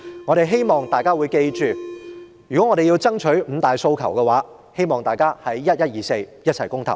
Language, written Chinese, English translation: Cantonese, 我希望大家記得，如要爭取五大訴求，便要在11月24日一起公投。, Please remember in order to fight for the five demands we must vote in the referendum on 24 November